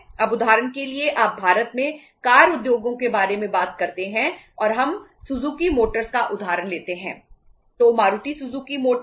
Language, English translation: Hindi, Now for example you talk about the car industries in India and we take the example of Suzuki Motors, so Maruti Suzuki Motors